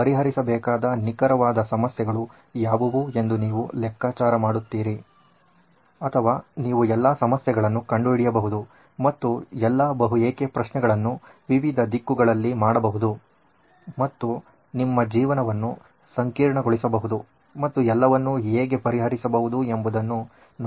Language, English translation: Kannada, So, that you figure out what is the exact problem that needs to be solved or you can figure out all problems and do all multi why in different directions and you can make your life complicated and see how to solve them all